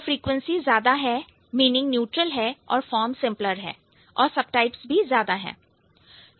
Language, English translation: Hindi, If greater frequency then also neutral meaning, simple form, more subtypes